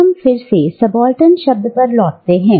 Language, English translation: Hindi, Now, let us again return to the word subaltern